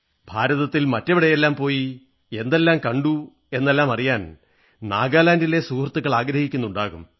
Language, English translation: Malayalam, So, all your friends in Nagaland must be eager to know about the various places in India, you visited, what all you saw